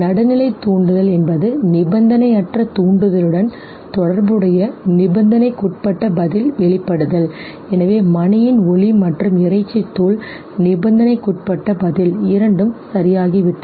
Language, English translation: Tamil, The neutral stimulus that eventually elicited conditioned response after being associated with the unconditioned stimulus so the sound of the bell and the meat powder both got associated okay, and conditioned response